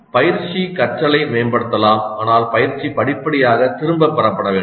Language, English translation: Tamil, And coaching providing hints can improve learning but coaching should be gradually withdrawn